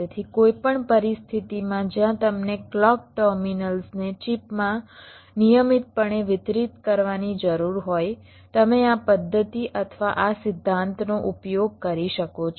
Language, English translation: Gujarati, so, in any scenario where you need the clock terminals to be distributed regularly across the chip, you can use this method or this principle